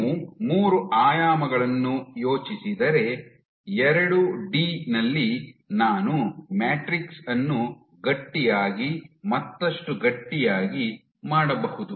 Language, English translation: Kannada, If you think of 3 dimensions, on 2D I can keep on making the matrix stiffer and stiffer